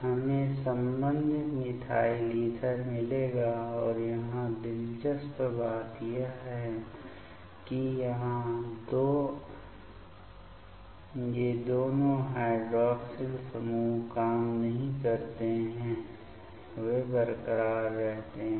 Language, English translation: Hindi, We will get the corresponding methyl ether and here the interesting thing is that here both of these hydroxyl groups they does not work; they remain intact ok